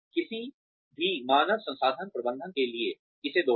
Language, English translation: Hindi, Repeat this, for any human resources manager